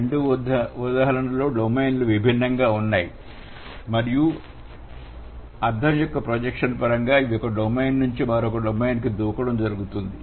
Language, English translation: Telugu, In both the examples the domains are different and in terms of projection of meaning this lips or this jumps from one domain to the other